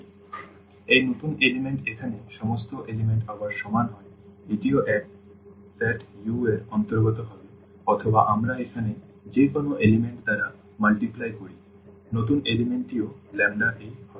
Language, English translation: Bengali, So, this new element here all the components are equal again this will also belong to the same set U or we multiply by the lambda to any element here, the new element will be also lambda a, lambda a